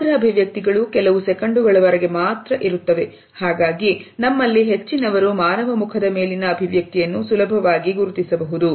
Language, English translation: Kannada, Macro expressions last for certain seconds, so that most of us can easily make out the expression on the human face